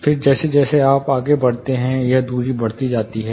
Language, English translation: Hindi, Then as you go further this distance increases